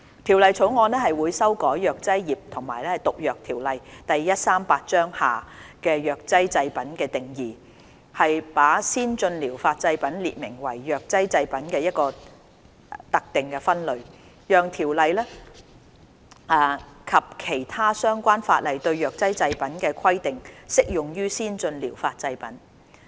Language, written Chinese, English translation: Cantonese, 《條例草案》會修改《藥劑業及毒藥條例》下藥劑製品的定義，把先進療法製品列明為藥劑製品的一個特定分類，讓條例及其他相關法例對藥劑製品的規定適用於先進療法製品。, The Bill will amend the definition of pharmaceutical products under the Pharmacy and Poisons Ordinance Cap . 138 by making ATPs a specific subset of pharmaceutical products under the Pharmacy and Poisons Ordinance . As such requirements for pharmaceutical products under the Pharmacy and Poisons Ordinance and other relevant ordinances will apply to ATPs